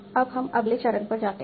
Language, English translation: Hindi, Now we go to the next step